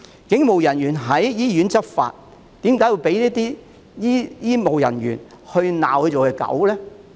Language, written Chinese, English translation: Cantonese, 警務人員在醫院執法，為何會被醫護人員辱罵是狗呢？, Why would police officers undertaking law enforcement duties at hospitals be insulted by health care workers and be called dogs?